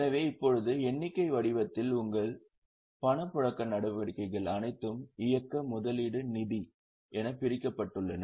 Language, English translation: Tamil, So now in the form of figure, all the cash flow activities are divided into operating, investing, financing